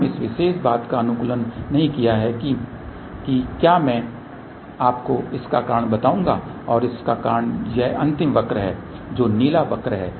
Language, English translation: Hindi, We did not optimize this particular thing for whether I will tell you the reason and the reason is the last curve here which is the blue curve